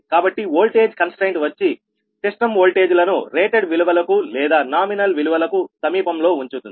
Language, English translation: Telugu, so the voltage constraint will keep the system voltages near the ah, near the rated or nominal values